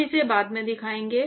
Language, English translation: Hindi, We will actually show this later